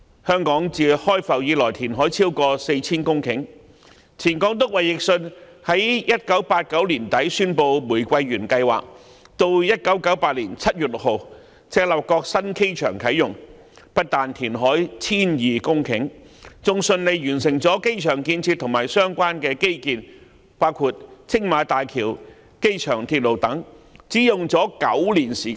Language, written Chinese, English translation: Cantonese, 香港自開埠以來，填海超過 4,000 公頃，前港督衞奕信在1989年年底宣布玫瑰園計劃，及至1998年7月6日赤鱲角新機場啟用，不但填海 1,200 公頃，更順利完成了機場建設和相關基建，包括青馬大橋和機場鐵路等，過程只花了9年時間。, Over 4 000 hectares of land have been created through reclamation in Hong Kong since its inception . During the period from late 1989 when the then Governor David WILSON announced the Rose Garden Project to the commissioning of the new airport in Chap Lap Kok on 6 July 1998 over 1 200 hectares of land were created through reclamation and this process spanning merely nine years even saw the smooth completion of the construction of the airport and related infrastructure facilities including the Tsing Ma Bridge and the Airport Express